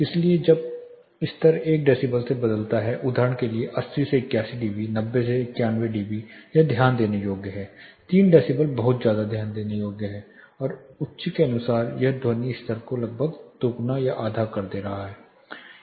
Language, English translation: Hindi, So, when the level changes by 1 decibels say you know 80 to 81 dB 90 to 91 dB it is noticeable; 3 decibel is very noticeable and as per as high it is almost doubling or halving the sound level